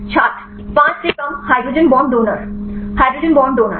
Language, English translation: Hindi, less than 5 hydrogen bond donor Hydrogen bond donor